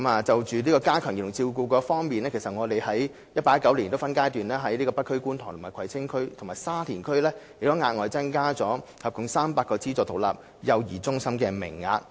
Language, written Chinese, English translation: Cantonese, 就加強幼兒照顧服務方面，我們將在 2018-2019 年度起分階段在北區、觀塘區、葵青區和沙田區額外增加合共約300個資助獨立幼兒中心名額。, On strengthening child care services we will increase the number of places in aided standalone child care centres in the North District Kwun Tong District Kwai Tsing District and Sha Tin District by a total of around 300 from 2018 - 2019 in phases